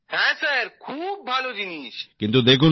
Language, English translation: Bengali, Yes Sir, it is a very nice thing